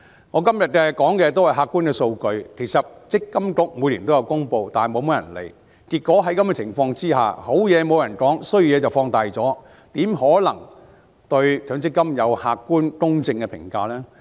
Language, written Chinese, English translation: Cantonese, 我今天提的全部是客觀的數據，其實積金局每年也有公布，但很少人理會，結果優點沒有人提起，缺點則被放大，怎可能對強積金有客觀、公正的評價呢？, While all I have cited today are objective data that MPFA would publish every year few people will pay attention to them . As a result no one has gone through the merits while the shortcomings are magnified . How will there be objective and fair comments on MPF?